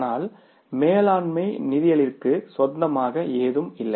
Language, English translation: Tamil, But management accounting as such doesn't have anything of its own